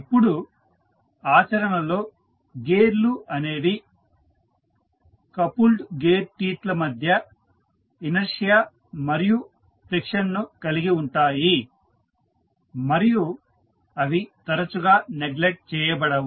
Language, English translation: Telugu, Now, in practice the gears also have inertia and friction between the coupled gear teeth and that often cannot be neglected